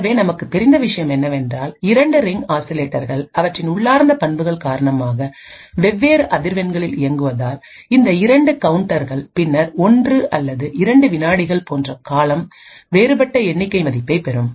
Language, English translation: Tamil, So therefore, what we know is that since the 2 ring oscillators are operating at different frequencies due their intrinsic properties, these 2 counters would after a period of time say like 1 or 2 seconds would obtain a different count value